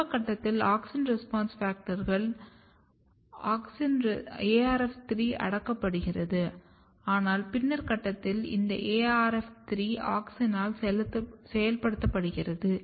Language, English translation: Tamil, At early stage this important Auxin response factor which is ARF3, which is kept repressed, but at the later stage this ARF3 is getting activated by Auxin